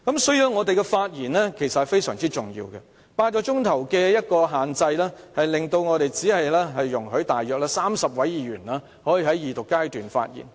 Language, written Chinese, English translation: Cantonese, 所以，我們的發言非常重要 ，8 小時的發言時限令只有約30位議員可以在二讀辯論時發言。, For this reason our speeches are very important . Within the time limit of eight hours only some 30 Members can speak at the Second Reading debate